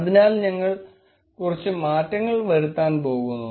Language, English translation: Malayalam, Therefore, we are going to make few changes